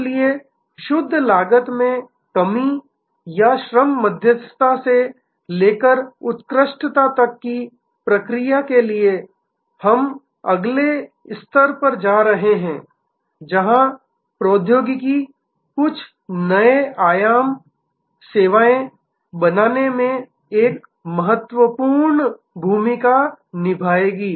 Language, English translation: Hindi, So, from pure cost reduction or labor arbitrage to process excellence to we are going to the next level, where technology will play a new part in creating some new dimension services